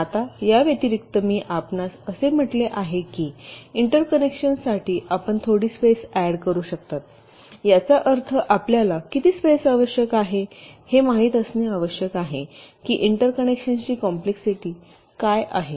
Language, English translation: Marathi, in addition, as i said, you can also add some space in between for interconnections, which means you need to know how much space is required or what is the complexity of the interconnections, right